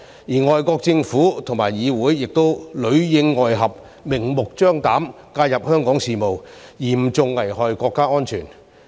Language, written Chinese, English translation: Cantonese, 外國政府和議會亦裏應外合，明目張膽介入香港事務，嚴重危害國家安全。, Foreign governments and parliaments also collaborated with each other and intervened blatantly in Hong Kong affairs gravely endangering national security